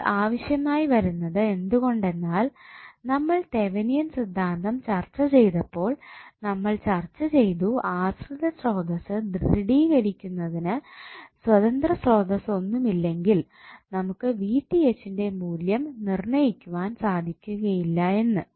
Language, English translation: Malayalam, So, this is required because when we discussed the Thevenin theorem and we discussed dependent sources we stabilized that if you do not have independent source then you cannot determine the value of V Th